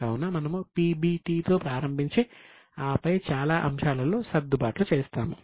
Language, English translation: Telugu, So, we start with PBT, then adjust for a lot of items